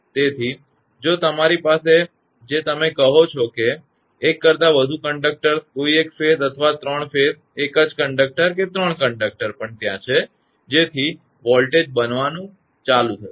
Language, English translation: Gujarati, So, if you have your what you call; that many more than one conductors, in any phase or the three phases single conductor, three conductors are also there; so that a voltage will be build up